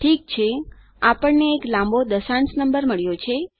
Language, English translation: Gujarati, Okay, we have got a quiet long decimal number